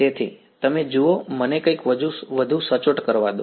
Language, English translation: Gujarati, So, you see let me do something a little bit more accurate